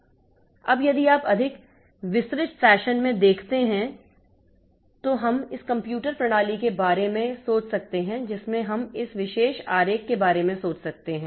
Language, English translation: Hindi, Now, if you look into in a more detailed fashion, so we can think of this computer system to be consisting of, we can think of this particular diagram